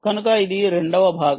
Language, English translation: Telugu, so this is first part